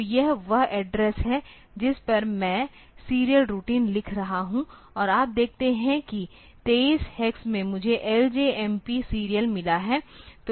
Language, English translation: Hindi, So, this is the address at which I am writing the serial routine and you see that at 23 hex I have got L J M P serial